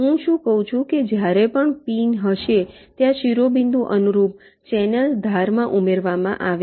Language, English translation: Gujarati, what i am saying is that whenever there is a pin, there will be ah vertex added in the corresponding channel edge